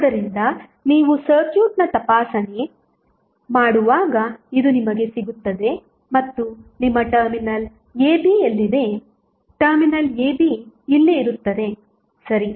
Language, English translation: Kannada, So, this you get when you do the inspection of the circuit and where is your terminal AB, terminal AB would be here, ok